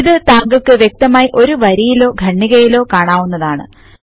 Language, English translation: Malayalam, This feature is more obvious when you have a line or paragraph of text